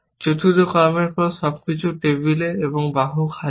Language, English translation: Bengali, After the fourth action, everything is on the table and the arm empty